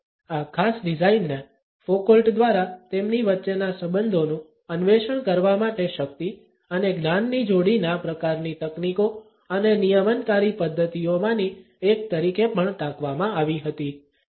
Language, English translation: Gujarati, This particular design was also cited by Foucault as one of the techniques and regulatory modes of power and knowledge dyad to explore the relationship between them